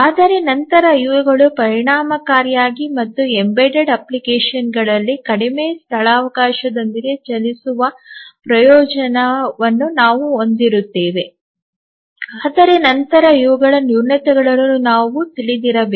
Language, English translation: Kannada, But then even these have the advantage of running efficiently and with less space on an embedded application but then these have their shortcomings which we must be aware of